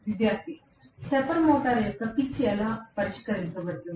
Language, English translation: Telugu, Student: How the pitch of the stepper motor is fixed